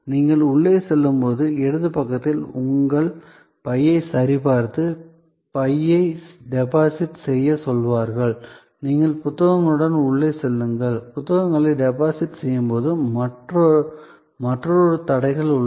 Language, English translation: Tamil, As you go in, on the left hand side there are people who will check your bag and will ask you to deposit the bag, you go in with the books, there is another set of barriers, where you deposit the books